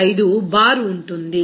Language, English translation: Telugu, 95 bar here